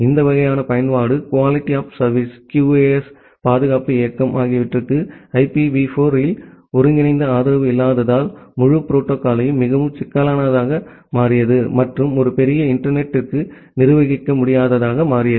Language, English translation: Tamil, Because there is no integrated support on IPv4 itself for this kind of application, QoS security mobility, the entire protocol became too complex and became unmanageable for a large internet